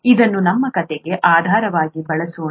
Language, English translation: Kannada, Let us use this as the basis for our story